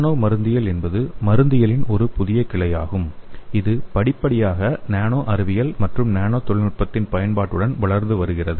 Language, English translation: Tamil, The nano pharmacology is a new branch of pharmacology and its gradually emerging with the application of nano science and nanotechnology